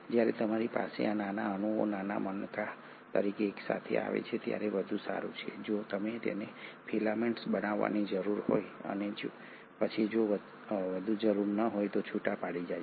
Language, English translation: Gujarati, What better when you have these small molecules as small beads coming together if they need to form a filament and then dissociate if there is no more need